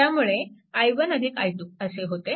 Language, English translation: Marathi, So, it will be i 1 plus i 2